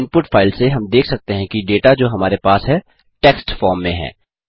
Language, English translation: Hindi, From the input file, we can see that the data we have is in the form of text